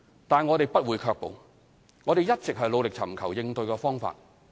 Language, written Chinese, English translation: Cantonese, 但是，我們不會卻步，我們一直尋求應對方法。, Nonetheless such difficulties have not held us back; we strive to seek solutions for which I will introduce in my reply later